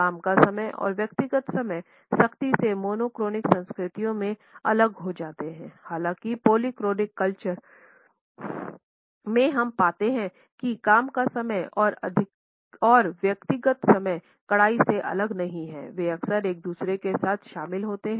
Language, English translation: Hindi, Work time and personal times are strictly separated in monochronic cultures; however, in polychronic cultures we find that the work time and personal time are not strictly separated they often include in to each other